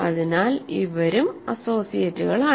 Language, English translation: Malayalam, So, these are also associates